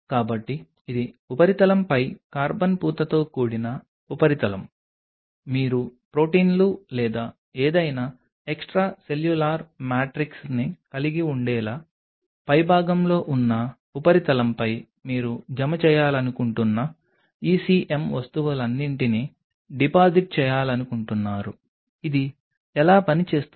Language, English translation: Telugu, So, this is carbon coated surface on that surface you are having you expose that surface at the top to have the proteins or whatever extracellular matrix you want to deposit on top of it all the ECM stuff you want to deposit this is how it works